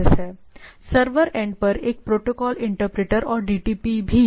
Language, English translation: Hindi, So, what it does at the server end also there is a protocol interpreter and DTP